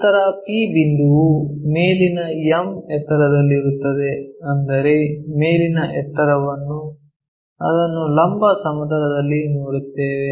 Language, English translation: Kannada, Then point P is at a height m above ; that means, that height above we will see it in the vertical plane